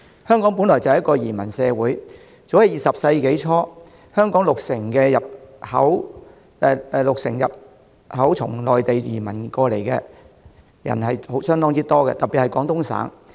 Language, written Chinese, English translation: Cantonese, 香港本來就是一個移民社會，早在20世紀初，香港六成人口從內地，特別是廣東省，移民而來，為數相當多。, Hong Kong has been a migrant society since day one . At the beginning of the 20 century about 60 % of Hong Kongs population had come from Mainland China particularly Guangdong and the number was significant